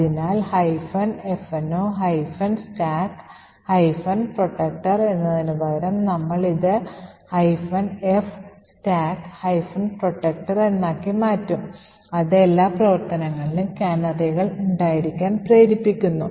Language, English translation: Malayalam, So instead of minus F no stack protector we would change this to minus F stack protector which forces that canaries be present in every function